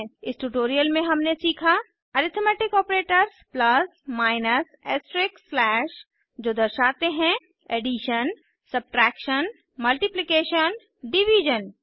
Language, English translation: Hindi, Lets summarize In this tutorial we have learnt about Arithmetic Operators plus minus astreisk slash standing for addition, subtraction, multiplication, division